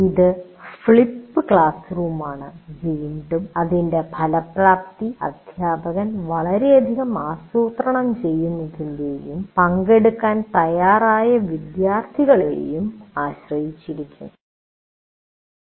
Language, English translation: Malayalam, So that is flipped classroom and once again its effectiveness will depend on a first teacher doing a lot of planning and also the fact students willing to participate